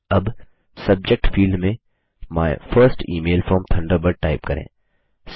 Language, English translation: Hindi, Now, in the Subject field, type My First Email From Thunderbird